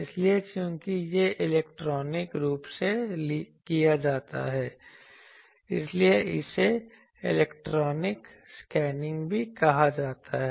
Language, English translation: Hindi, So, since this is done electronically, it is also called electronic scanning